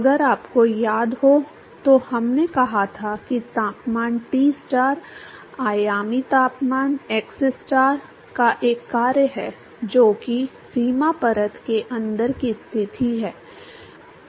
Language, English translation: Hindi, If you remember we said that the temperature Tstar, the dimensional temperature is a function of xstar which is the position inside the boundary layer right